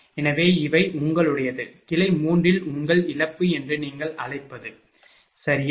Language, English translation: Tamil, So, these are your, what you call your P branch loss in branch 3, right